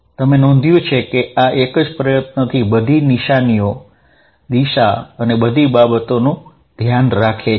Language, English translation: Gujarati, You notice that this takes care of everything signs, direction and everything in one shot